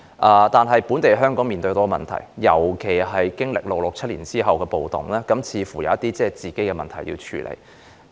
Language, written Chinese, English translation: Cantonese, 可是，當時的香港，尤其在經歷了六七暴動後，似乎也有一些自身問題需要處理。, However it seemed that Hong Kong particularly after the 1967 riots also had its own problems to deal with in those days